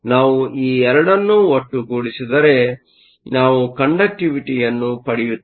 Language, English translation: Kannada, If we put both these together, we will get the conductivity